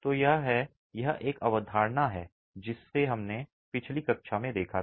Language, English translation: Hindi, So, this is a concept that we did see in the previous class